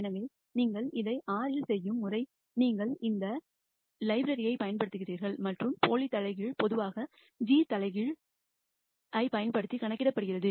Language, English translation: Tamil, So the way you do this in R is you use this library and the pseudo inverse is usually calculated using this g inverse a